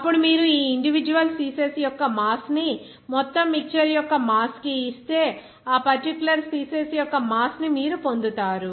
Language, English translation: Telugu, Then if you make an issue of this individual species mass to the mass of whole mixture, then you will get that mass fraction of that particular species